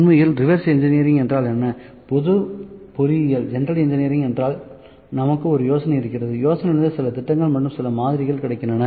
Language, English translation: Tamil, So, what is reverse engineering actually, what is general engineering we have an idea, from the idea we have certain plans for the certain plans of certain model we have